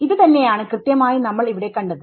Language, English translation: Malayalam, Even exactly that is what we have saw over here